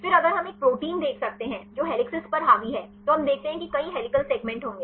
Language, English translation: Hindi, Then if we can see a protein which dominated by helices then we see that there will be many several helical segments